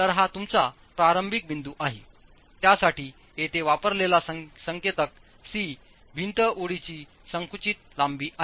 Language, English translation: Marathi, Of course for that, the notation C that is used here is the compressed length of the wall